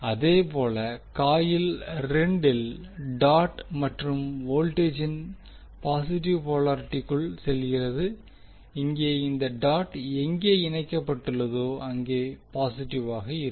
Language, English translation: Tamil, Similarly in the coil 2 current is entering the dot and the positive polarity of the voltages when where the dot is connected here also the positive where the dot is connected